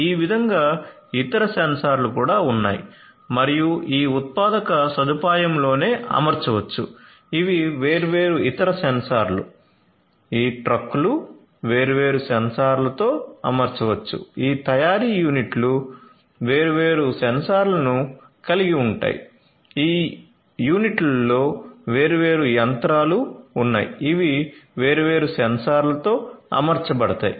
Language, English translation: Telugu, Like this there are other sensors that could be used and could be deployed in this manufacturing facility itself, these are these different other sensors sensor sensor sensor , these trucks could be fitted with different sensors, these manufacturing units would comprise of different sensors right, different machinery in these units are going to be fitted with different sensors